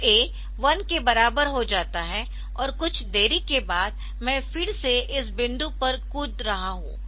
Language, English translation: Hindi, So, a becomes equal to 1 and after some delay am jumping to this point again